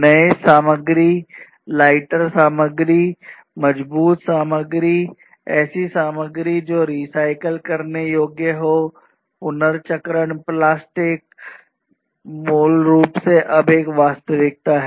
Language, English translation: Hindi, Newer materials, lighter materials, stronger materials, materials that are recyclable, recyclable plastics are basically a reality now